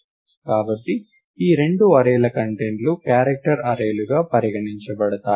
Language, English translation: Telugu, So, that the contents of both these arrays are considered to be character strings